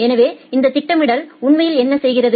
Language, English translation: Tamil, So, what this scheduling actually does